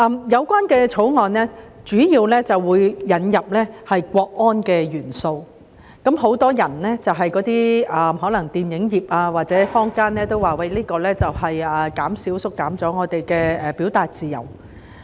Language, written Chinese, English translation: Cantonese, 《條例草案》主要是引入國安元素，很多可能從事電影業或坊間的人士均表示，這會縮減人們的表達自由。, The Bill seeks mainly to include national security as one of the matters to be considered and in the opinion of many people engaging in the film industry or members of the general public the proposal would restrict freedom of expression